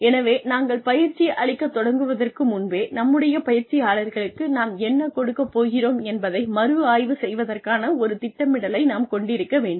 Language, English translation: Tamil, So, even before we start imparting the training, we should have, a very systematic plan in place, for reviewing, whatever we are going to give our trainees